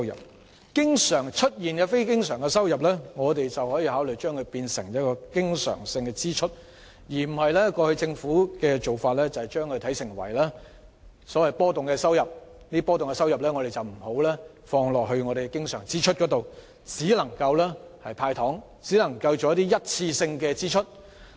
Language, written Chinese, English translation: Cantonese, 對於這些經常出現的非經常收入，我們可以考慮將之撥作經常性開支，而非如政府過往的做法般視之為波動收入，因而不會撥作經常性開支，而只會"派糖"或作一次性支出。, For such capital revenue which is recurrent in nature we may consider allocating it to recurrent expenditure instead of treating it as volatile revenue just like what the Government did in the past . The Government will just therefore dish out candies or allocate it to one - off expenditure rather than recurrent expenditure